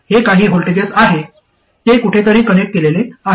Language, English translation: Marathi, It is some voltage, it is connected somewhere